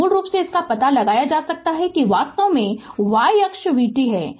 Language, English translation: Hindi, So, basically from that you can find out actually y axis is v t